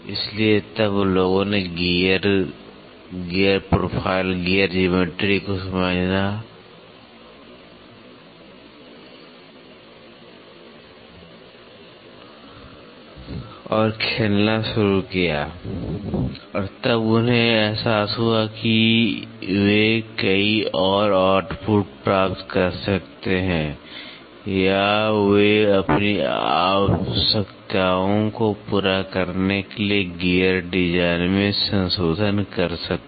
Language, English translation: Hindi, So, then people started realising and playing with the gear, gear profile, gear geometry, and then they realise that they can get many more outputs or they can modify to the gear design to meet out their requirements